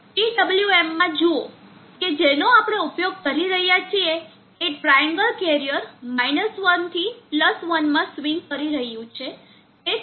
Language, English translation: Gujarati, See in the PWM that we are using the triangle carrier is swinging from 1 to +1